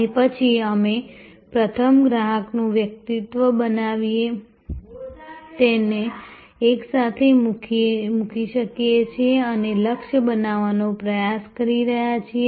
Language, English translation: Gujarati, And then, we can put it together by first creating a persona of the customer, we are trying to target